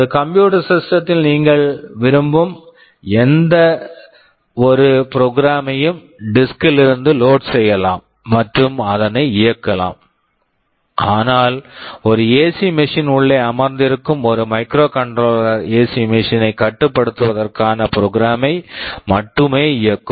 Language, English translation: Tamil, In a computer system you can load any program you want from the disk and run it, but a microcontroller that is sitting inside an AC machine will only run that program that is meant for controlling the AC machine